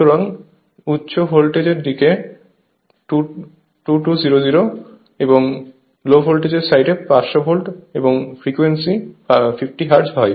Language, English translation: Bengali, So, high voltage side 2200; low voltage side is 500 volt, 50 hertz frequency is 50 hertz